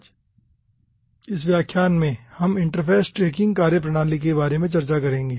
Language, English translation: Hindi, today in this lecture we will be discussing about interface tracking methodologies